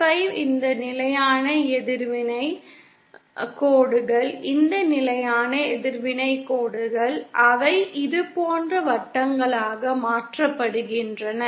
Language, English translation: Tamil, 5 circle and these constant reactant lines, these constant reactants lines, they also get converted to circles like this